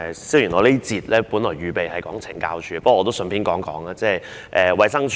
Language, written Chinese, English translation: Cantonese, 雖然在這一節我準備就懲教署發言，但我也想順便談一談衞生署。, Although I am going to talk about the Correctional Services Department CSD in this session I would also like to speak on the Department of Health DH in passing